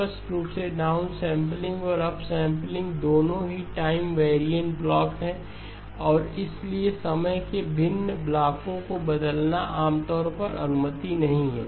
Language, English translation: Hindi, Obviously down sampling and up sampling are both time variant blocks and therefore interchanging of time variant blocks is generally not permitted